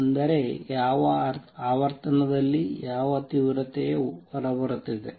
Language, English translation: Kannada, That means, what intensity is coming out at what frequency